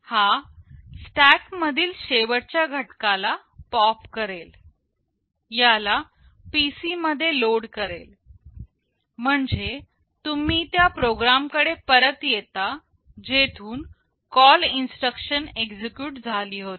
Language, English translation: Marathi, It will pop the last element from the stack, it will load it into PC, which means you return back to the program from where the call instruction was executed